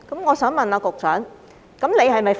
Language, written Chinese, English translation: Cantonese, 我想問局長，他是否"佛系"？, I wish to ask the Secretary whether he is Buddha - like